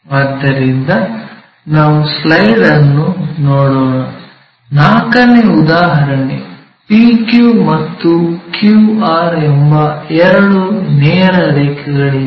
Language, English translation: Kannada, So, let us look at the slide, here example 4; there are two straight lines PQ and QR